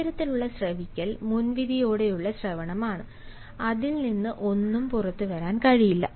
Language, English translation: Malayalam, this sort of listening is a prejudiced listening and nothing can come out of it